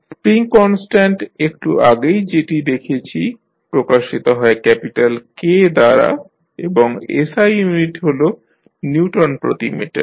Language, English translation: Bengali, Spring constant just we saw is represented by capital K and the SI unit is Newton per meter